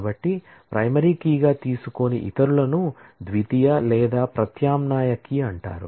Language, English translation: Telugu, So, the others that are not taken as a primary key are called the secondary or alternate key